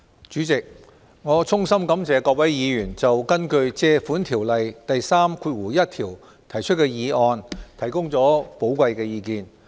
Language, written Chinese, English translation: Cantonese, 主席，我衷心感謝各位議員就根據《借款條例》第31條提出的擬議決議案，提供寶貴的意見。, President I express my sincere gratitude to all Members who have provided valuable comments on the proposed resolution under section 31 of the Loans Ordinance